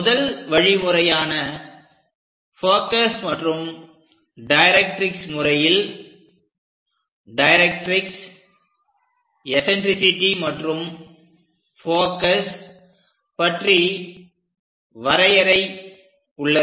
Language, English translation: Tamil, For the first method focus and directrix method, we have a definition about directrix, eccentricity and focus